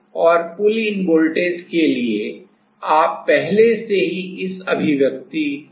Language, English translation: Hindi, And for pullin voltage you already know from this expression